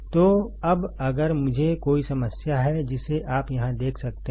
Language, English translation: Hindi, So, now if I have a problem, which you can see here